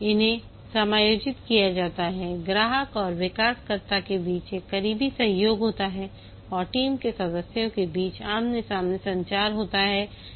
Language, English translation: Hindi, There is a close cooperation between the customer and developer and among the team member there is face to face communication